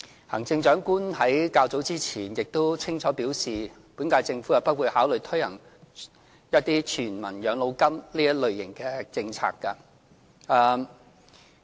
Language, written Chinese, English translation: Cantonese, 行政長官在較早前亦清楚表示，本屆政府不會考慮推行全民養老金這一類型的政策。, Some time ago the Chief Executive also made it clear that the Government of the current term would not consider implementing something like a universal pension policy